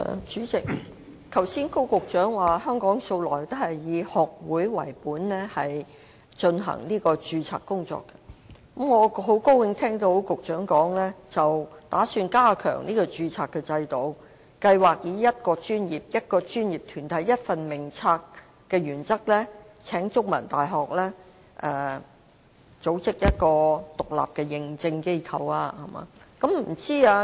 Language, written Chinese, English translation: Cantonese, 主席，高局長剛才說香港素來都是以學會為本進行註冊，我亦很高興聽到局長表示有意加強註冊制度，計劃以"一個專業、一個專業團體、一份名冊"的原則運作，並邀請香港中文大學為計劃的獨立認證機構。, President Secretary Dr KO just now said that Hong Kong has all along adopted the society - based registration and I am happy to learn that the Secretary has the intent to enhance the registration system so that it will operate under the principle of one profession one professional body one register . Furthermore The Chinese University of Hong Kong CUHK has been invited to be the independent Accreditation Agent